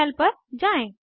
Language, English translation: Hindi, Lets switch to the terminal